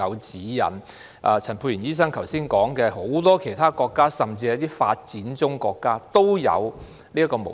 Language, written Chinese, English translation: Cantonese, 正如陳沛然醫生剛才指出，很多其他國家，甚至一些發展中國家也有採用這種模式。, As just highlighted by Dr Pierre CHAN this mode is being adopted by many other countries and even some developing countries